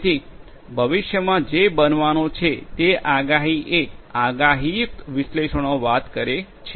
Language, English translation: Gujarati, So, predicting the predicting what is going to happen in the future is what predictive analytics talks about